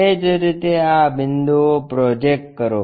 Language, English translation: Gujarati, Similarly, project these points